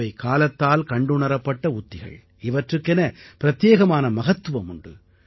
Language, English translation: Tamil, These are time tested techniques, which have their own distinct significance